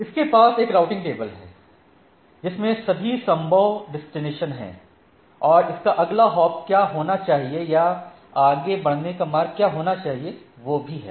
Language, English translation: Hindi, So, it has a routing table which has all ideally all the destination possible destinations and what should be its next hop or what should be the path to be forwarded, right